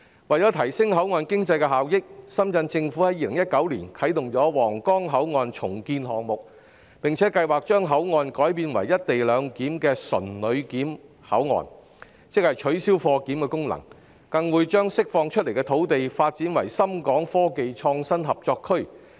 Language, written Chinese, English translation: Cantonese, 為提升口岸經濟的效益，深圳市政府在2019年啟動皇崗口岸重建項目，計劃將口岸改建為"一地兩檢"的純旅檢口岸，即取消貨檢功能，並將釋放出來的土地，發展成深港科技創新合作區。, Separated only by a river there is a world of difference between the two places . In order to enhance the benefits of port economy the Shenzhen Municipal Government commenced a redevelopment project at the Huanggang Port in 2019 and planned to redevelop the port into one with co - location arrangement for visitors control only ie . the function of goods control would be cancelled and the land released would be developed into the Shenzhen - Hong Kong Innovation and Technology Co - operation Zone